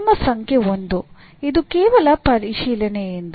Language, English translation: Kannada, So, the rule number 1 is just by inspection